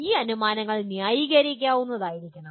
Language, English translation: Malayalam, And these assumptions should be justifiable